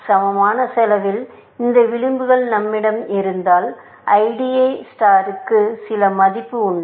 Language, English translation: Tamil, Even if we have these edges of equal cost, IDA star has some value